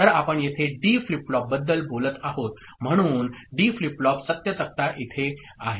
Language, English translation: Marathi, So, here we are talking about D flip flop, so D flip flop truth table is here